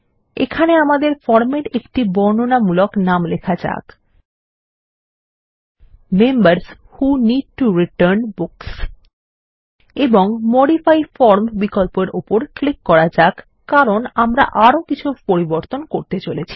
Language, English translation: Bengali, Here let us give a descriptive name to our form: Members Who Need to Return Books And let us click on the Modify form option, as we are going to do some more changes